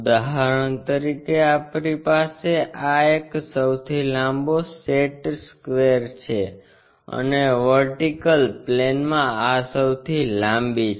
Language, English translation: Gujarati, For example, this is the one longestset square what we can have and this longest one on vertical plane it is in vertical plane